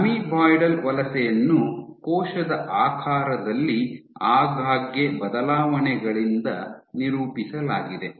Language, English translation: Kannada, So, amoeboidal migration is characterized by frequent changes in shape of cell